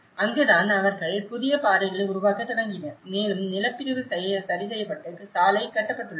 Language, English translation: Tamil, And that is where then they started making new paths and the land subdivision has been adjusted and the road is built